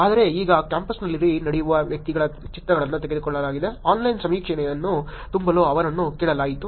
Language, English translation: Kannada, But now pictures were taken of the individuals walking on the campus, they were asked to fill an online survey